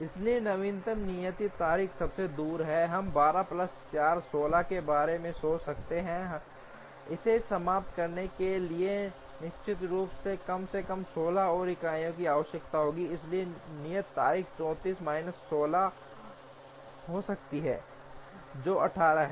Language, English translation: Hindi, So, the latest due date the farthest, we can think of is 12 plus 4, 16 it definitely requires at least 16 more units to finish, so the due date can be 34 minus 16 which is 18